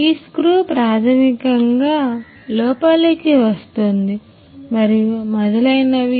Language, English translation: Telugu, So, this screw basically gets in and so on